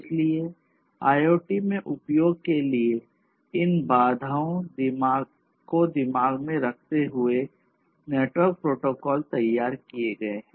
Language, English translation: Hindi, So, network protocols that are designed for use in IoT should be designed accordingly keeping these constraints in mind